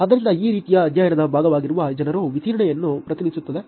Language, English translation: Kannada, So, this kind of represents the distribution of people who are part of the study